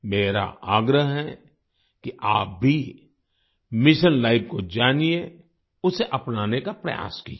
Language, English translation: Hindi, I urge you to also know Mission Life and try to adopt it